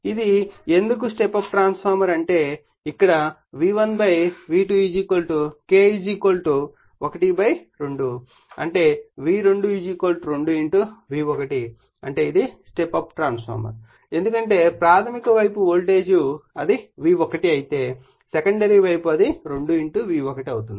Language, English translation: Telugu, Why it is step up transformer; that means, here then V1 / V2 = K = half right; that means, V2 = 2 * V1 right; that means, it is step up transformer because primary side voltage if it is V1 secondary side it is becoming 2 * V1